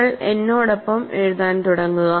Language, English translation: Malayalam, So, you start writing with me